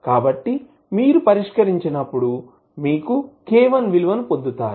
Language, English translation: Telugu, So, when you solve, you will get simply the value of k1